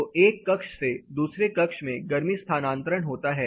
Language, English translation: Hindi, So, from one chamber to the other chamber heat transfer happens